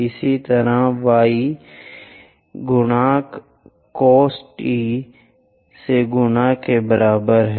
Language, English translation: Hindi, Similarly, y is equal to a multiplied by 1 minus cos t